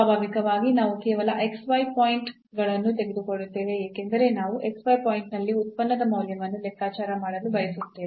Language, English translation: Kannada, So, naturally we will take just the x y points, because we want to compute the value of the function at the x y point